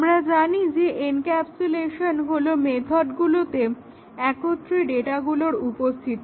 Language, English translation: Bengali, Encapsulation as we know is having the data in the methods together